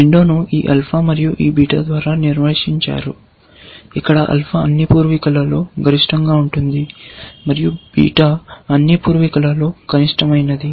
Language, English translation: Telugu, The window is defined by this alpha and this beta where, alpha is a maximum of all the ancestors, and beta is the minimum of all the ancestors